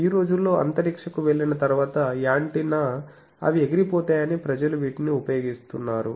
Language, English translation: Telugu, Nowadays, people are using that that after going to space antenna will be flown